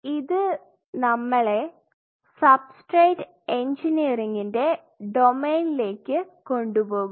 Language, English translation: Malayalam, Now that will take us to the domain of substrate engineering